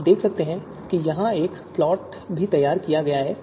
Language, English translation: Hindi, You can see and a plot has also been generated here which you can see here